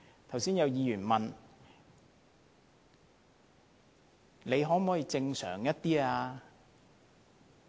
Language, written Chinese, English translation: Cantonese, 剛才有議員問政府"可否正常一點？, A Member asked the Government earlier Can you be more normal?